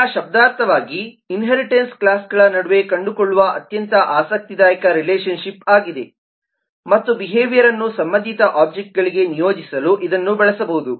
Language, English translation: Kannada, now, semantically, certain inheritance is the most interesting relationship to find amongst classes and it can be used to delegate the behavior to related objects